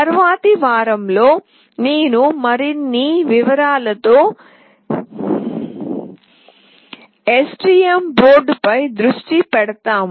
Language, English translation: Telugu, In the subsequent week I will be focusing on the STM board in more details